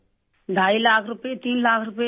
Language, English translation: Urdu, 5 lakh rupees, three lakh rupees